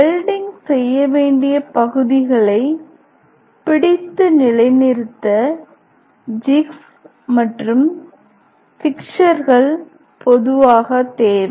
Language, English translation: Tamil, Jigs and fixtures are generally required to hold and position the part to be welded